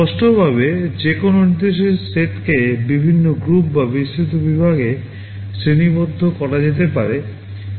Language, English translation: Bengali, Broadly speaking any instruction set can be categorized into various groups or broad categories